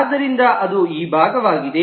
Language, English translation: Kannada, So that is this part